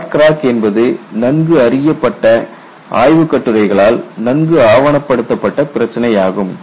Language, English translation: Tamil, Short cracks is a well known problem well documented in the literature